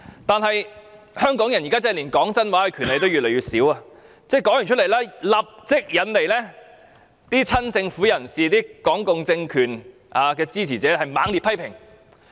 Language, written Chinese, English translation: Cantonese, 但是，香港人現時真的連說真話的權利都越來越少，林超英的一番話立即引來親政府人士和港共政權支持者的猛烈批評。, However nowadays Hong Kong peoples right to tell the truth has indeed become more and more restrained . Mr LAMs remark immediately invited fierce criticisms from the pro - government camp and supporters of the Hong Kong communist regime